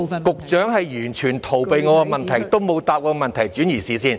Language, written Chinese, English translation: Cantonese, 局長完全逃避我的問題，沒有回答，只是轉移視線。, The Secretary has evaded my question completely . He has not answered me . He was just diverting attention